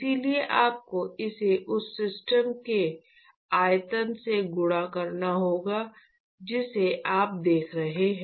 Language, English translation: Hindi, So, therefore, you have to multiply this by the volume of the system that you are looking at